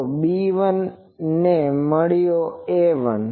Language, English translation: Gujarati, So, B 1 I got, A 1